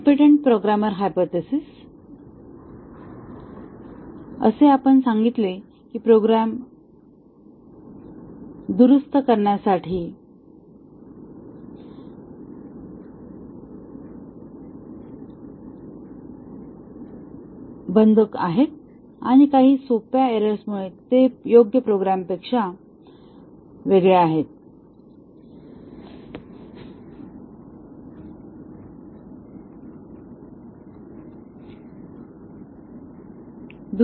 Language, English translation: Marathi, The competent programmer hypothesis as we said that the programs are closed to correct and they differ from the correct program by some simple errors